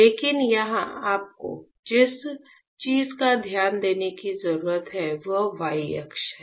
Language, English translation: Hindi, But what you need to focus here is that the y axis